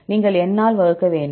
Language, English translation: Tamil, You have to divided by N